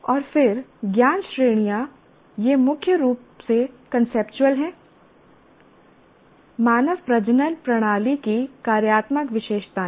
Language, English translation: Hindi, And then the knowledge categories, it is mainly conceptual, functional features of human reproductive system